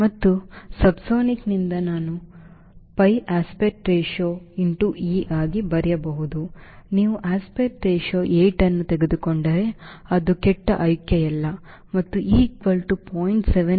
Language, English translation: Kannada, and for k, since subsonic, i can write pi aspect ratio into e is not a bad choice if you take aspect ratio eight and e equal to point seven, not the bad choice